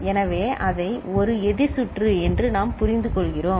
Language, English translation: Tamil, So, that is what we understand as a counter circuit